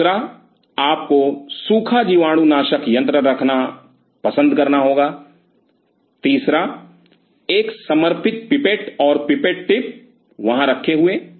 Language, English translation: Hindi, Second you have to prefer to have a dry sterilizer, third a dedicated pipette and pipette tips sitting out there